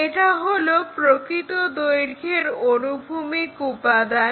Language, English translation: Bengali, Now, this is a horizontal component of true length